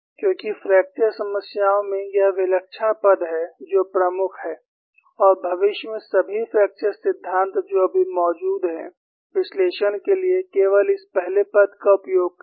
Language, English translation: Hindi, Because in fracture problem, it is a singular term that is dominant and all the future fracture theories, which are existing right now, used only this first term for the analysis